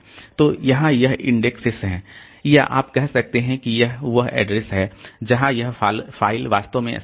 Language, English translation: Hindi, So, here this it has got this indexes or you can say the addresses where this file is actually located